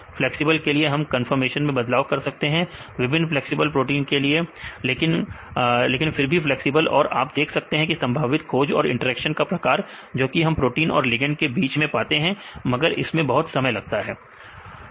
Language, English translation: Hindi, For the flexible you can give the conformation changes right for the various protein is flexible right the ligand is flexible you can see the probable pose and the type of interactions, where we can find between the protein as well as the ligand, but this is time consuming